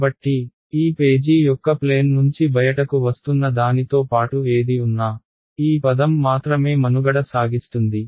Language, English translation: Telugu, So, whatever survives along this that is coming out of the plane of this page is surviving in this term that is the only term that is retained ok